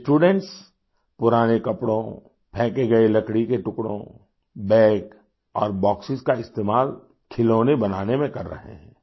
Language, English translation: Hindi, These students are converting old clothes, discarded wooden pieces, bags and Boxes into making toys